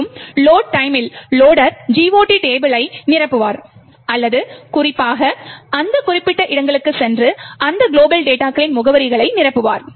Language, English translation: Tamil, Further at the time of loading, the loader would either fill the GOT table or go specifically to those particular locations and fill addresses in those global data